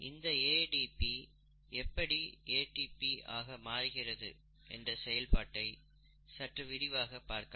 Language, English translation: Tamil, So let us look at this process in some detail, ADP getting converted to ATP